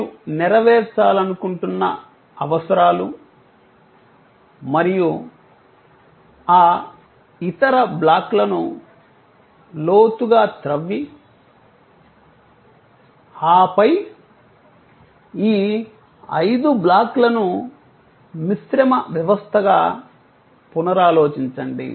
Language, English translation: Telugu, The needs that you want to full fill and then, you dig deeper into those other blocks and then, rethink of these five blocks as a composite system